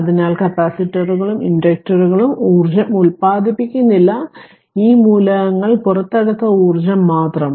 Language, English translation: Malayalam, So, capacitors and inductors do not generate energy only the energy that has been put into these elements and can be extracted right